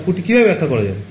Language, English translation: Bengali, How will you interpret the output